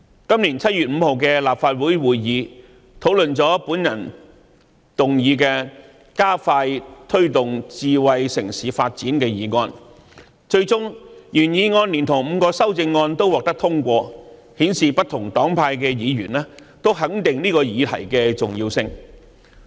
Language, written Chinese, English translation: Cantonese, 今年7月5日的立法會會議討論了由我動議的"加快推動智慧城市發展"議案，最終原議案連同5項修正案均獲得通過，顯示不同黨派議員均肯定這項議題的重要性。, At the meeting of the Legislative Council on 5 July this year Members discussed the motion on Expediting the promotion of smart city development sponsored by me . The original motion and the five amendments to it were passed showing that Members from different political parties and groupings all recognized the importance of this topic